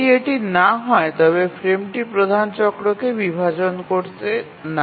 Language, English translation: Bengali, But what if the frame size doesn't divide the major cycle